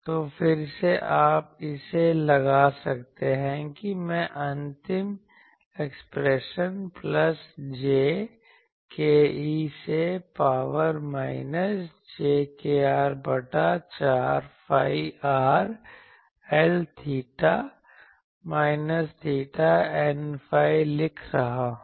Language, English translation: Hindi, So, again you can put this, I am writing the final expression plus j k e to the power minus jkr by 4 phi r L theta minus theta N phi